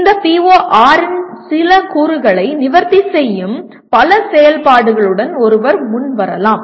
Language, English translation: Tamil, One can come with many more activities that will address some elements of this PO6